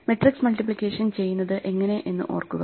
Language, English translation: Malayalam, We look at the problem of matrix multiplication